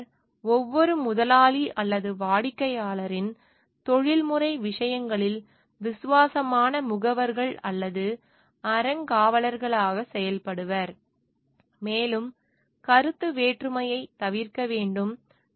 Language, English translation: Tamil, Engineer shall act in professional matters of for each employer or client as faithful agents or trustees, and shall avoid the conflict of interest